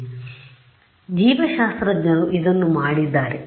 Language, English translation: Kannada, So, biologists have done this